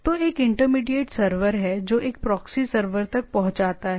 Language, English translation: Hindi, So, there is an intermediate server which access a proxy server